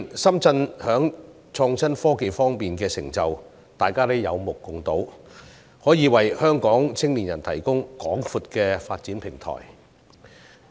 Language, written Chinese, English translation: Cantonese, 深圳近年在創新科技方面的成就，大家都有目共睹，可以為香港青年人提供廣闊的發展平台。, The achievement of Shenzhen in innovation and technology in recent years speaks for itself and Shenzhen is now a large development platform for young people of Hong Kong